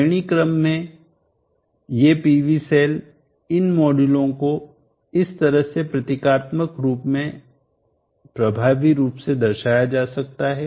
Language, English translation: Hindi, At the module level you can protect it in this fashion, these PV cells in series these modules can effectively be represented in symbolic form like this